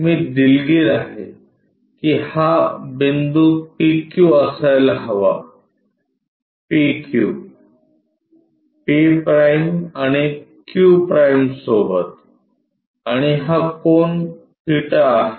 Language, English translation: Marathi, I am sorry this point supposed to be P Q points with p q, p’, and q’, and this angle is theta